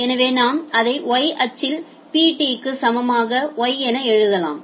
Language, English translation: Tamil, So, we can just write it as Y equal to Pt at the Y axis